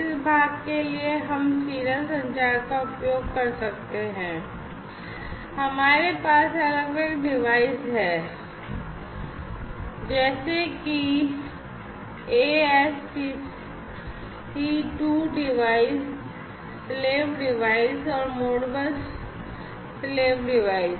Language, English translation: Hindi, And, so, but this part we can use the serial communication, and we have this different devices such as the ASC II devices or, the slave devices, Modbus slave devices, and so on